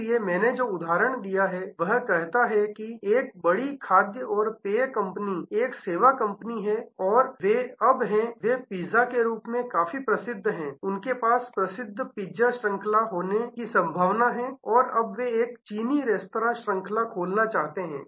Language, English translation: Hindi, So, the example that I said suppose there is a big food and beverage company a service company and they are now, they are quite famous as a pizza, they may have famous pizza chain and now, they want to open A Chinese restaurant chain